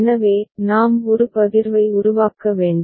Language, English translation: Tamil, So, we have to make a partition